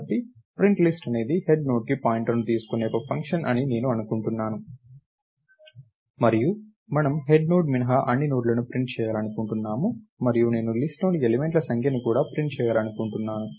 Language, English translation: Telugu, So, I assume that the PrintList is a function which actually takes a pointer to the head Node itself, and we want to print out all the nodes except the head Node and I also want to print the number of elements in the list